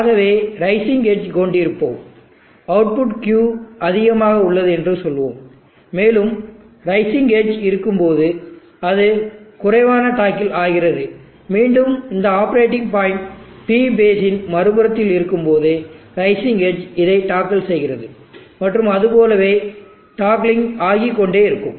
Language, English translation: Tamil, So let us have the rising edge we will, let us say the output Q is at high, and when there is a rising edge it will toggle low, and again and there is a rising edge when this operating point is in the other side of the P base it will toggle and so on keeps toggling like that